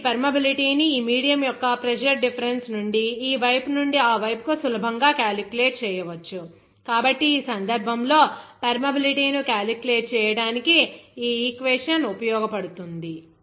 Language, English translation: Telugu, So, this permeability you can easily calculate from the pressure difference of that medium from this side to that side, so in that case, this equation will be useful to calculate that permeability